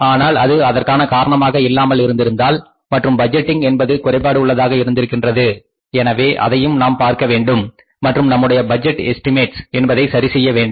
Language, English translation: Tamil, But if it is not because of this thing and the budgeting was defective then we also have to look for this and correct our budgeting estimates